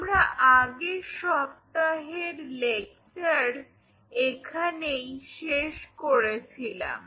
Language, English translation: Bengali, So, this is where we kind of closed on the last week lectures